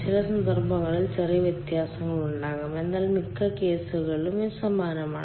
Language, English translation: Malayalam, there may be slide variation in some cases, but in most of the cases it is similar